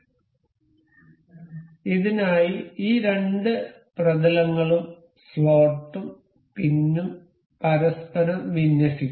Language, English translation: Malayalam, So, for this we can align the planes of these two, the the slot and the pin into one another